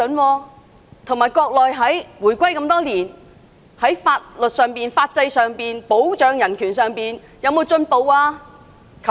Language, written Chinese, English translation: Cantonese, 再者，香港回歸多年，國內在法律、法制和保障人權方面有進步嗎？, Moreover decades after Hong Kongs handover has the Mainland ever improved its laws legal system and human rights protection?